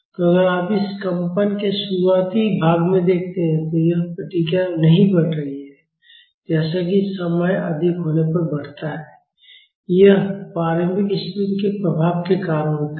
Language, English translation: Hindi, So, if you see in the initial part of this vibration, this response is not growing; as it grows when the time is high, this is because of the effect of the initial conditions